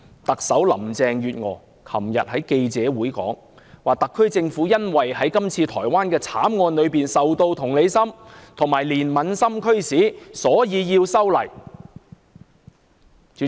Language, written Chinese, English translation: Cantonese, 特首林鄭月娥昨日在記者會上表示，特區政府因為對台灣的慘案深表同情和憐憫，因而提出修例。, Chief Executive Carrie LAM said at a press conference yesterday that the SAR Government proposed the amendment out of deep sympathy and compassion for the gruesome Taiwan homicide case